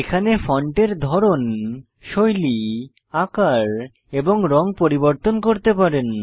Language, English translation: Bengali, Here you can change the Font type, Font style, font Size and font Color